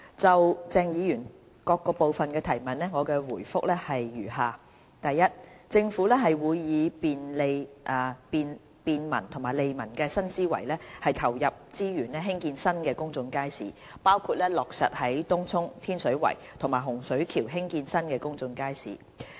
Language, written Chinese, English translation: Cantonese, 就鄭議員各部分的質詢，我答覆如下：一政府會以便民利民的新思維投入資源興建新的公眾街市，包括落實在東涌、天水圍和洪水橋興建新公眾街市。, My reply to the various parts of the question raised by Dr CHENG Chung - tai is as follows 1 Based on the new thinking on governance focused on bringing convenience and benefits to the public the Government will make available resources for building new public markets in Tung Chung Tin Shui Wai and Hung Shui Kiu